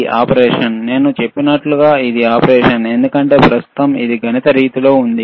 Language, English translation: Telugu, This is the operation, like I said it is an operation, because now is the right now it is in mathematical mode